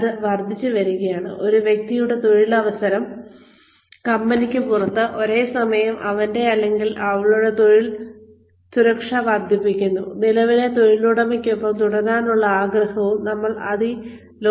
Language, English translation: Malayalam, s employability, outside the company, simultaneously, increasing his or her job security, and desire to stay with the current employer